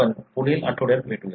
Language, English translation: Marathi, We will see you in the next week